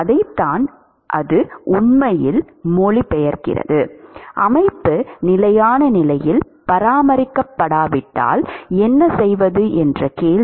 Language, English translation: Tamil, That is what it really translates into: the question what if the system is not maintained in the steady state